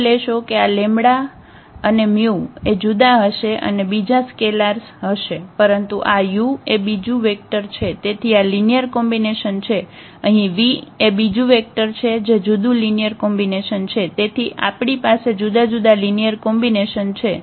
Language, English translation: Gujarati, Note that these lambdas and this mus will be different and the other scalars, but this u is another vector so, this is a linear combination, a different linear combination here v is another vector so, we have a different linear combination there